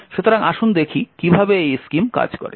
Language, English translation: Bengali, So let us see how this particular scheme works